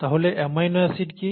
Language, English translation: Bengali, And what is an amino acid, okay